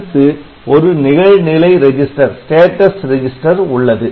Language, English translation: Tamil, Then there is one status register